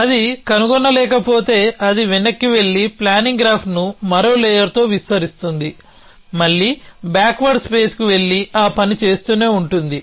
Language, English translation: Telugu, If it cannot find, it goes back and extends the planning graph by one more layer, again goes it will the backward space and keep doing that